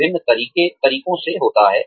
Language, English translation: Hindi, Is through various methods